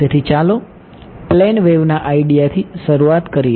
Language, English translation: Gujarati, So, let us start with the plane wave idea